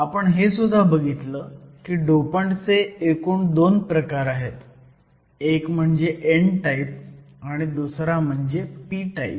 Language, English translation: Marathi, So, we also saw that there were 2 types of dopants; one was your n type, the other was the p type